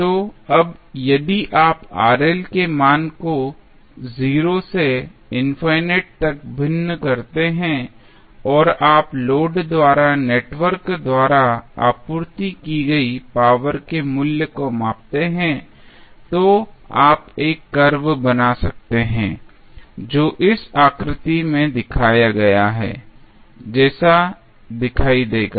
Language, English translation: Hindi, So, now, if you vary the value of Rl from 0 to say infinite and you measure the value of power supplied by the network to the load then you can draw a curve which will look like as shown in this figure